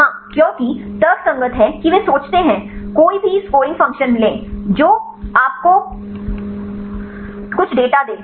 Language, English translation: Hindi, Yeah because the rational is they think, take any scoring function that give you some data